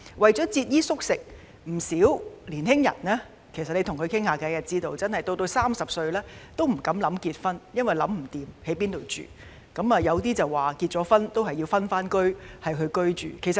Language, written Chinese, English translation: Cantonese, 跟青年人傾談後得知，他們節衣縮食，到了30歲仍不敢考慮結婚，因為仍未解決居住問題，有部分人甚至在結婚後仍要分開居住。, Many of them can even barely make ends meet . After talking to the young people I learnt that they had to live frugally and dared not consider getting married when they reached the age of 30 so long as the problem of accommodation remained unresolved . Some couples on the other hand have to live separately after getting married